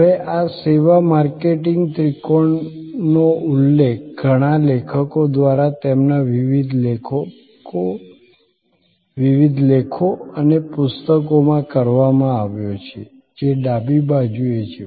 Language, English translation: Gujarati, Now, this service a marketing triangle has been referred by many authors in their various articles and books, which are on the left hand side